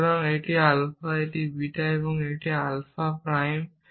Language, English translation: Bengali, So, this is alpha and this is beta and this is alpha prime